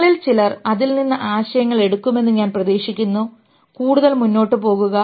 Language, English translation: Malayalam, And I hope some of you will pick up ideas from it and go further